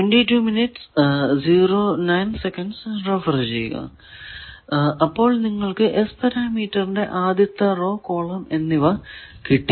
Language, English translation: Malayalam, So, you got the first row first column of S parameter